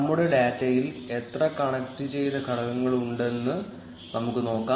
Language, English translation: Malayalam, Let us see how many connected components are there in our data